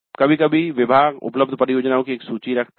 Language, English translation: Hindi, Sometimes the department puts up a list of the projects available